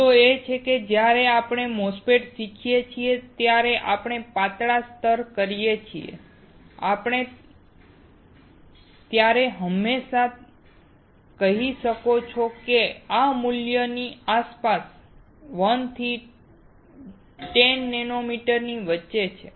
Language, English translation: Gujarati, The point is when we learn MOSFET, when we say thin layer you can always say is between 1 and 10 nanometers somewhere around this value